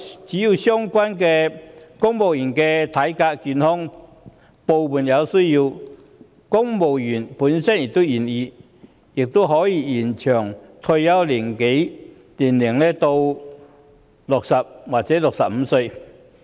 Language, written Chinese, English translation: Cantonese, 只要相關的公務員體格健康，而在部門有需要及公務員本身亦願意的情況下，也可以延長退休年齡至60或65歲。, The retirement age may be extended to 60 or 65 as long as the civil servants concerned are in good health with sound physical fitness there are service needs in government departments and the civil servants themselves are willing to do so